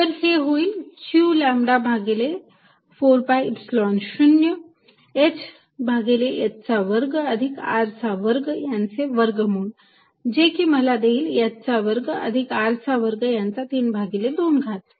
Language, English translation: Marathi, So, this is going to be q lambda over 4 pi Epsilon 0 h divided by square root of h square plus r square which will give me h square plus R square raise to 3 by 2 and there is a dl